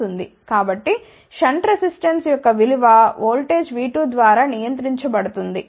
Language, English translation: Telugu, So, the value of the shunt resistor is controlled by voltage V 2 ok